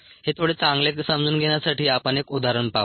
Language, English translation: Marathi, let us see an example to understand this a little better